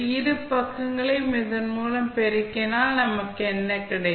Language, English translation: Tamil, So, this is what we got from the multiplication